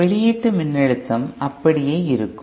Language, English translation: Tamil, The output voltage will keep on remaining the same